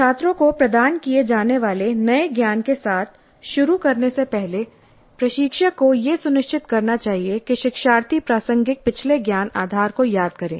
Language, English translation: Hindi, So before commencing with new knowledge to be imparted to the students, instructor must ensure that learners recall the relevant previous knowledge base